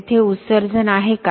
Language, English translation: Marathi, Are emissions there